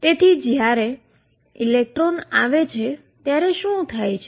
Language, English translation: Gujarati, So, what happens when electron comes in